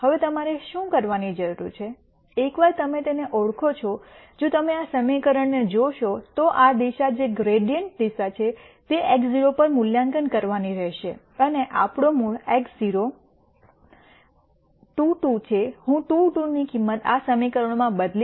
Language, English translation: Gujarati, Now, what you need to do is, once you identify this if you look at this equa tion this direction which is a gradient direction has to be evaluated at x naught and since our original x naught is 2 2, I am going to substitute the value of 2 2 into these equations